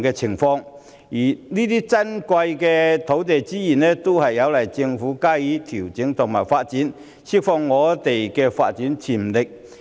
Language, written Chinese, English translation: Cantonese, 這些珍貴的土地資源需要政府加以調整和發展，從而釋放發展潛力。, These precious land resources require adjustment and development by the Government to unleash their development potential